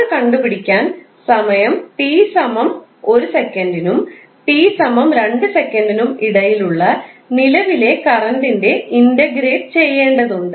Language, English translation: Malayalam, You have to just simply integrate the current value between time t=1 to t=2